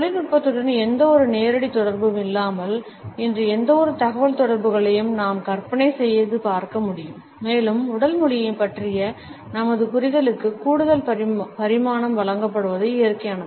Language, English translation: Tamil, We cannot imagine any communication today, without any direct association with technology and it is only natural that our understanding of body language is also given an additional dimension